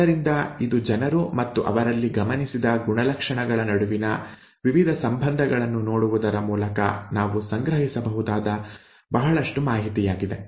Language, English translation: Kannada, So this is lot of information that we can gather just by looking at what the the various relationships between people and their observed characters